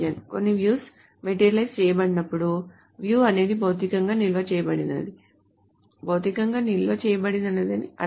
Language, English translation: Telugu, So when some views are materialized, it essentially means the view is stored physically, is physically stored